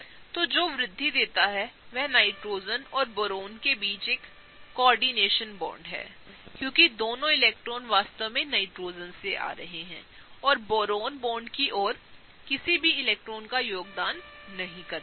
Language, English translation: Hindi, So, what gives rise to is a coordination bond between Nitrogen and Boron, because both the electrons are really coming from Nitrogen and Boron is not contributing any electrons towards the bond